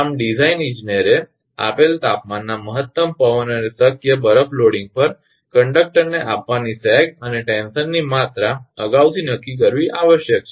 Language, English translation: Gujarati, Thus, a design engineer must determine in advance the amount of sag and tension to be given to the conductor at a given temperature maximum wind and possible ice loading